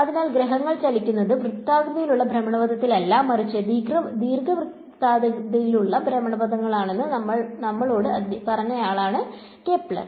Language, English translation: Malayalam, So, he was the guy who told us that planets move not in circular orbit, but elliptical orbits